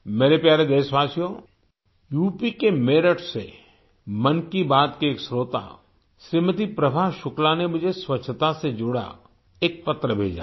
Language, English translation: Hindi, a listener of 'Mann Ki Baat', Shrimati Prabha Shukla from Meerut in UP has sent me a letter related to cleanliness